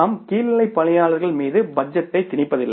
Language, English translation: Tamil, We don't impose the budget on the lower level people